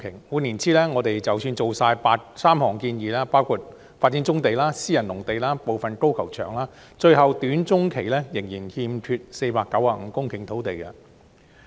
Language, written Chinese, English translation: Cantonese, 換言之，即使盡做3項建議，包括發展棕地、私人農地、部分高爾夫球場，短中期最終仍然欠缺495公頃土地。, In other words even if the three recommendations namely developing brownfield sites private agricultural land and part of the golf course are all implemented there will still be a shortfall of 495 hectares in the short - to - medium term